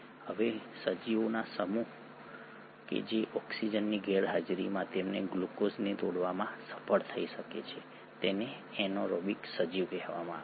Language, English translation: Gujarati, Now, a set of organisms which can manage to break down their glucose in absence of oxygen are called as the anaerobic organisms